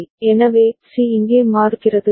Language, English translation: Tamil, So, C changes over here ok